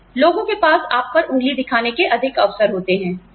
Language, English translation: Hindi, Then, people have more opportunities, to point a finger at you